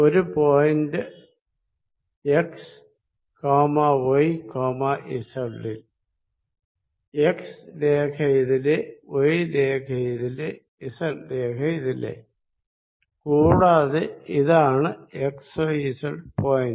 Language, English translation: Malayalam, At some point x, y, z with x axis this way, y axis this way, z axis this way, and this is point x, y, z